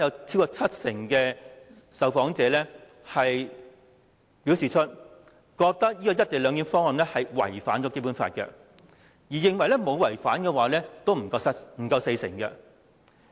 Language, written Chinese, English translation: Cantonese, 超過七成受訪者認為，"一地兩檢"方案違反《基本法》；認為沒有違反的人只有不足四成。, Over 70 % of respondents considered that the co - location arrangement had violated the Basic Law while only less than 40 % thought otherwise